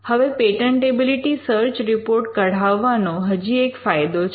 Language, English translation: Gujarati, Now there is also another advantage in generating a patentability search report